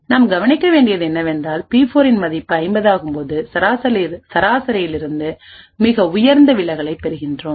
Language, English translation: Tamil, What we notice is that when the value of P4 becomes 50 we obtain the highest deviation from the mean, so the mean over here is 2943